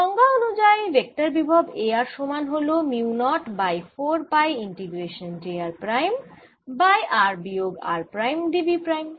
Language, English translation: Bengali, by definition, the vector potential a r will be equal to mu naught over four pi integration: j r prime over r minus r prime, d v prime